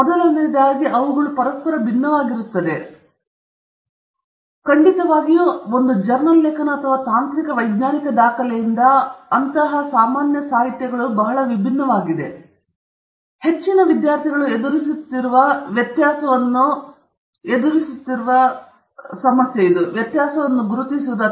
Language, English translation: Kannada, First of all, they are different from each other, and they are certainly very different from a journal article or a technical scientific document, and most of the time the greatest difficulty that students face is recognizing this difference okay